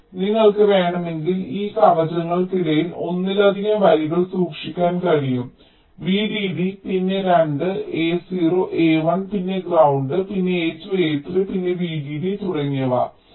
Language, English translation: Malayalam, so if you want, you can keep more than one lines between these shields: v d d, then two, a zero, a one, then ground, then a two a three, then v d d, and so on